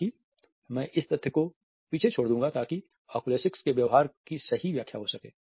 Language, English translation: Hindi, However, I would retreat this fact that in order to make out the true interpretation of the oculesics behavior